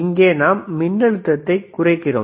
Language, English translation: Tamil, So, here step down voltage wwe are stepping it down